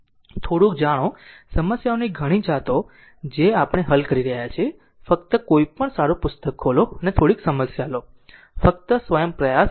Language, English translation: Gujarati, ah Just little bit ah you know, so many varieties of problems we are solving, just open any any good book and just take few problems and just try yourself